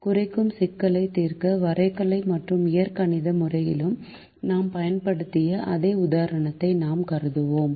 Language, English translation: Tamil, we consider the same example that we used in graphical and in the algebraic method to solve minimization problems